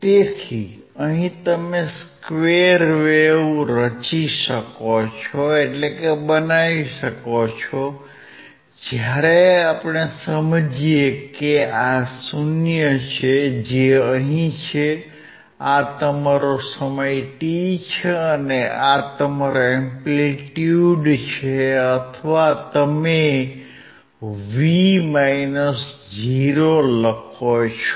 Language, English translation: Gujarati, So, you can you can form square wave when we understand that that if this is 0, which is here this is your time t and this is your amplitude or you write V minus 0